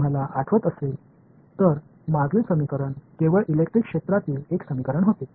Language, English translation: Marathi, If you recall the previous equation was a equation only in electric field